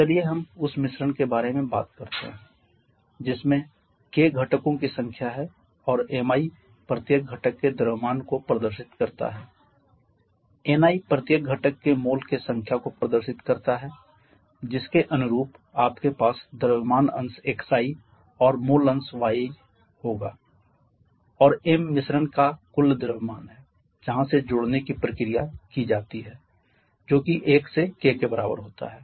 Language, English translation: Hindi, Let us say we talk about a mixture comprising of k number of components and mi represents the mass of each of the components ni represent the number of moles for each of the components corresponding you will have the mass fraction of xi and mole function of yi